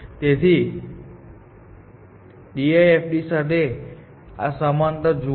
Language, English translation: Gujarati, So, you can see this similarity with DFID